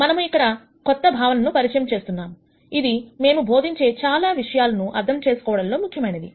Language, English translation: Telugu, We introduce the next concept, which is important for us to understand many of the things that we are going to teach